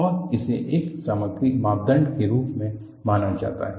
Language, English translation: Hindi, And, this is considered as a material parameter